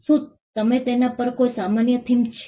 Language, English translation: Gujarati, Is there a common theme over it